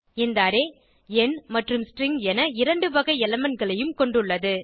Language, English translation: Tamil, This array has elements of both number and string type